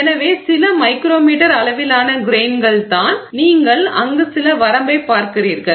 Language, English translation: Tamil, So, a few micrometer sized grains is what you are looking at some range there